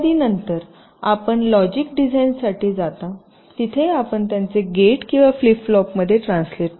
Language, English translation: Marathi, then you go for logic design, where you would translate them into gates or flip flops